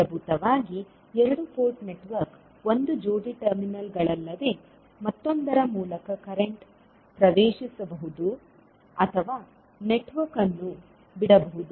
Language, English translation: Kannada, Basically, the two port network is nothing but a pair of terminals through which a current may enter or leave a network